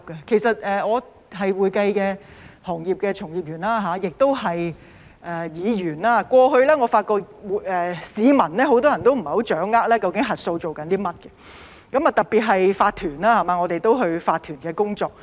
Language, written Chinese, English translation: Cantonese, 我是會計行業的從業員也是議員，過去我發覺很多市民不太掌握究竟核數在做甚麼，特別是法團，我們都有做法團的工作。, I am a practitioner in the accounting profession and also a Member of the Legislative Council . In the past I found that many members of the public especially owners corporations OCs―as we have been engaged by OCs―did not quite understand what auditing entailed